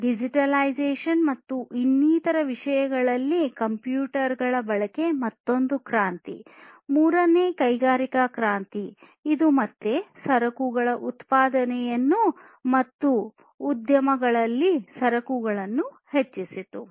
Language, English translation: Kannada, So, the use of computers digitization and so on was another revolution the third industrial revolution, which again increased the production of goods and commodities in the industry